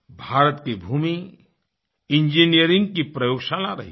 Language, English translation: Hindi, Our land has been an engineering laboratory